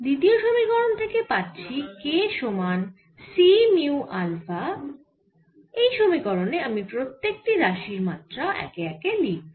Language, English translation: Bengali, from the second relation, which is k is equal to c, mu, info, this relation i am going to write ah, the dimensions of every quantities used here